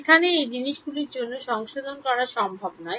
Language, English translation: Bengali, There it is not possible to correct for these things